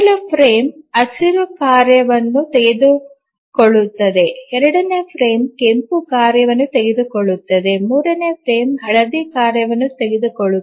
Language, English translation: Kannada, So, first frame it took up the green task, the second frame the red task, third frame, yellow task and so on